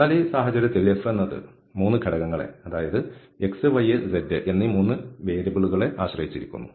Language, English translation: Malayalam, But in this case, since this f depends on the 3 components x, y, and z, 3 independent variables